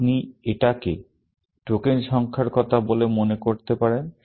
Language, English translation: Bengali, You can think of it as saying that the count of the number of tokens